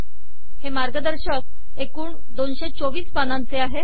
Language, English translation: Marathi, For example, its a 224 page document